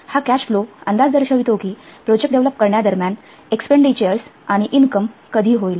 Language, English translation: Marathi, This cash flow forecast indicates when expenditures and income will take place during the development of a project